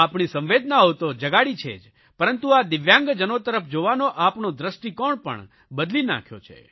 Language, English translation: Gujarati, These have not only inspired our empathy but also changed the way of looking at the DIVYANG people